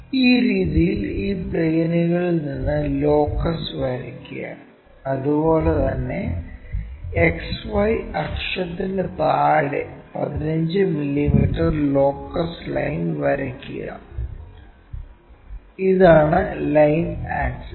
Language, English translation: Malayalam, Draw locus from these planes in that way, similarly draw 15 mm locus line below XY axis, this is the line axis will be in a position to locate and d or d' will be at this levels